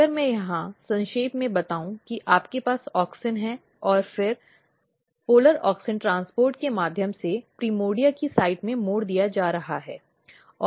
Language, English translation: Hindi, If I summarize here you have auxin and then auxin is getting diverted in the site of primordia through the polar auxin transport